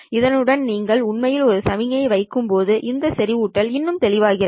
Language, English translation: Tamil, The saturation is even more pronounced when you actually have a signal to this